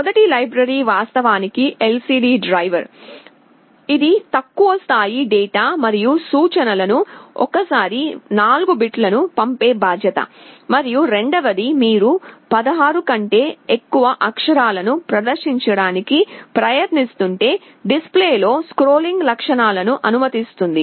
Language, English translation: Telugu, The first library is actually the LCD driver, it is responsible for sending the low level data and the instructions 4 bits at a time, and the second one allows you with scrolling features in the display, if you are trying to display more than 16 characters in a row, the display will automatically scroll from left to right